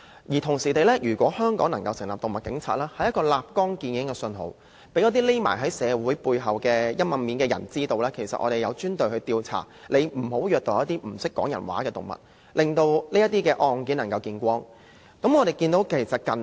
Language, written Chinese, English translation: Cantonese, 如果香港能夠成立動物警察，就能立竿見影，讓那些躲藏在社會背後陰暗面的人知道，有專隊進行調查，阻嚇他們，別虐待一些不懂得說話的動物，或令到這些案件能夠被發現。, If animal police can be established in Hong Kong it will create an instant effect to make those hiding in the dark side of society realize that dedicated teams will carry out investigations to deter them from abusing animals that cannot speak or to expose these cases